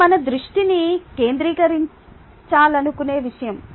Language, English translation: Telugu, it is something that we want to focus our attention to